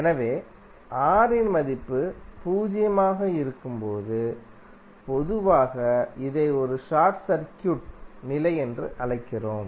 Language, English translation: Tamil, So, when the value of R is zero, we generally call it as a short circuit condition